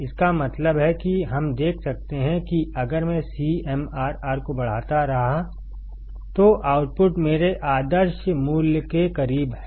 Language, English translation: Hindi, That means, we can see that, if I keep on increasing CMRR, the output is close to my ideal value